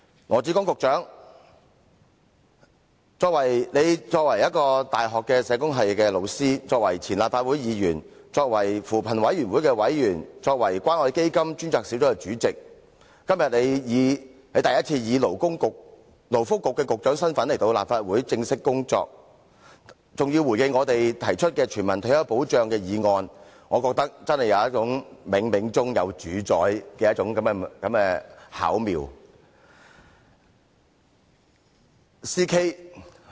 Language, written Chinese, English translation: Cantonese, 羅致光局長作為大學社會工作學系導師、前立法會議員、扶貧委員會委員及關愛基金專責小組主席，今天第一次以勞工及福利局局長的身份前來立法會正式工作，還要回應我們提出關乎全民退休保障的議案，我真的有種冥冥中自有主宰的巧妙之感。, As a university teacher of the Department of Social Work former Legislative Council Member member of the Commission on Poverty and the Chairperson of the Community Care Fund Task Force Secretary Dr LAW Chi - kwong is discharging his official duties in the Legislative Council today for the first time in the capacity as the Secretary for Labour and Welfare who even has to respond to our motion on universal retirement protection . Such a coincidence has really given me a sense of destiny